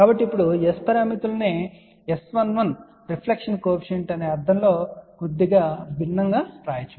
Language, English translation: Telugu, So, now, these S parameters can be written in a slightly different way in a sense that S 11 is reflection coefficient